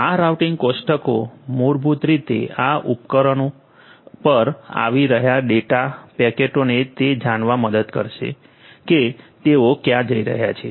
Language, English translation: Gujarati, These routing tables will basically help the data packets that are coming to these devices to know where they are going to go to